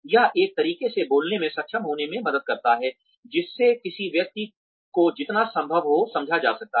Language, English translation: Hindi, It helps to be, able to speak in a manner, that one can be understood by, as many people as possible